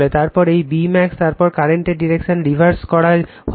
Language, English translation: Bengali, Then this your B max, then you are reversing the direction of the current